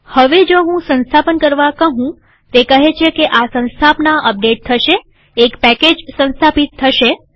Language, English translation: Gujarati, Now if I say install, it says that this installation will be updated, one package will be installed